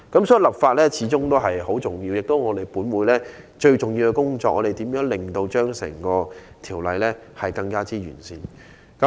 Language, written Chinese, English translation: Cantonese, 所以，立法始終很重要，亦是本會最重要的工作，就是如何令整項《條例草案》更完善。, Legislation is always of overriding importance . As law - making is the most important function of the Council it is our duty to perfect the Bill